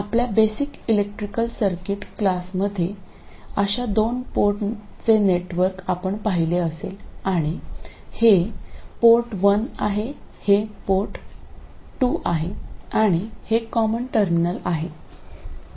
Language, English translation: Marathi, You would have seen representations of such a two port in your basic electrical circuits class and this is port one, port two and this is the common terminal